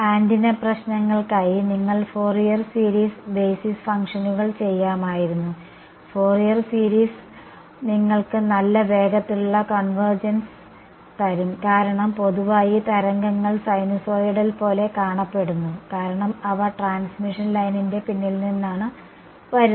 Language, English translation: Malayalam, Right you could have done a Fourier series basis functions in fact for a antenna problems Fourier series is may give you better convergence faster because in general the waves look like sinusoidal functions because they coming from the back side from a transmission line